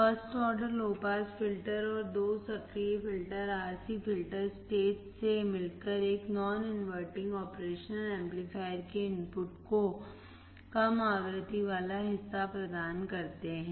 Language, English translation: Hindi, The first order low pass filter and the two active filter consist of RC filter stage providing a low frequency part to the input of a non inverting operation amplifier